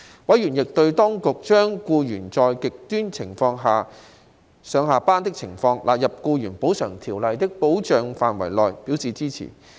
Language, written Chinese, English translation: Cantonese, 委員亦對當局將僱員在"極端情況"下上下班的情況，納入《僱員補償條例》的保障範圍內，表示支持。, Members also supported the extension of the coverage of the Employees Compensation Ordinance to employees commuting to or from work under extreme conditions